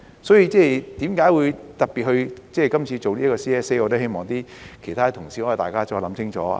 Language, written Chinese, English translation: Cantonese, 所以，為何今次特別提出這 CSA， 我希望其他同事可以再想清楚。, So as regards why we have particularly proposed these CSAs I hope that other colleagues can further think about it